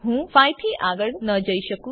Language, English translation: Gujarati, I cannot go beyond 5